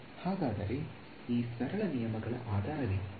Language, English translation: Kannada, So, what is the basis of these simple rules